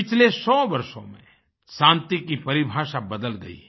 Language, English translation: Hindi, The definition of peace has changed in the last hundred years